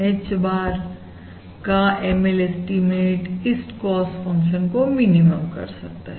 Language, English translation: Hindi, the ML estimate of H bar minimises the above cost function